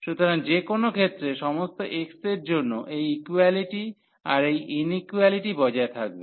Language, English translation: Bengali, So, in any case this for all x this equality this inequality will hold